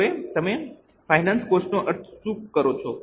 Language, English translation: Gujarati, Now what do you mean by finance cost